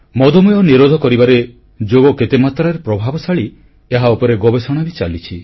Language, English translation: Odia, There are several studies being conducted on how Yoga is effective in curbing diabetes